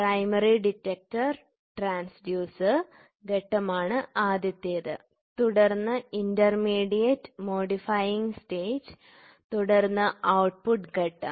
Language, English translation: Malayalam, First is, primary detector transducer stage, then intermediate modifying stage and then output stage